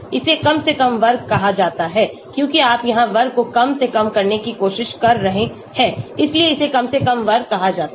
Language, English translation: Hindi, It is called as least square because you are trying to minimize the square here right, that is why it is called least square